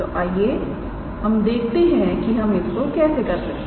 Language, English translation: Hindi, So, let us see how we can do that